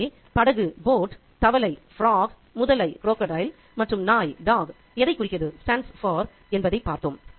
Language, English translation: Tamil, So, we had a look at what the boat stands for, the frog, the crocodile and the dog